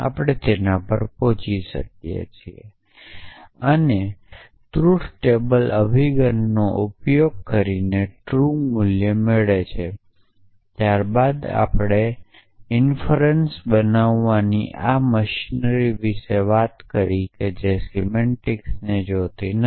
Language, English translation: Gujarati, We can arrive at it is truth value using the truth table approach then we talked about this machinery of making inferences which which does not look at semantics